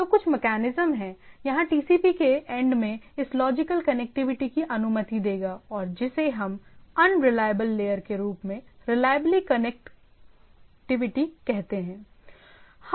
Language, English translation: Hindi, So, there should be some mechanisms, here at the TCP end which will allow this logical connectivity, and what we say reliable connectivity on the over this unreliable layer right